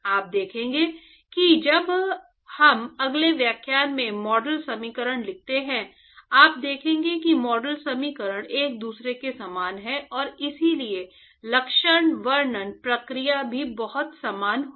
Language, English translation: Hindi, In fact, you will see when we write model equations in the next lecture you will see that it will see the model equations are actually very similar to each other and therefore, the characterization process also will be very similar